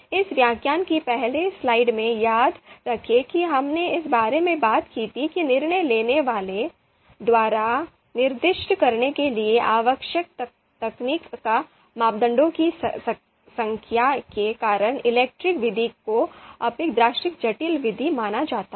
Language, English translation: Hindi, So remember in the in this lecture we talked about in the in the in the first slide we talked about that the ELECTRE method is considered to be a slightly you know relatively complex method because of the number of you know parameters technical parameters that are required to be specified by decision makers